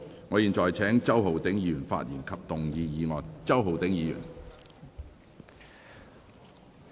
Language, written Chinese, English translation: Cantonese, 我現在請周浩鼎議員發言及動議議案。, I now call upon Mr Holden CHOW to speak and move the motion